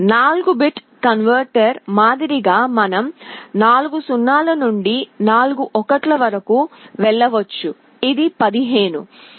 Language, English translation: Telugu, Like for a 4 bit converter you could go from 0 0 0 0 up to 1 1 1 1 which is 15